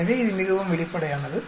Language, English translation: Tamil, So, it is very straight forward